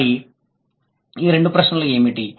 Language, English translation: Telugu, And what are these two questions